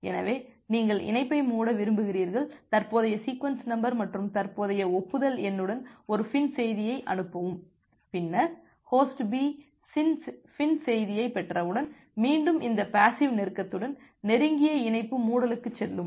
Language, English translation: Tamil, So, you want to close the connection send a FIN message with a current sequence number and a current acknowledgement number, then Host B once it receives the FIN message it again go to the close connection closure with this passive close